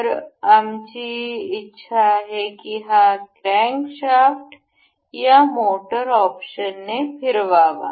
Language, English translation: Marathi, So, we will we want this crankshaft to be rotated by motor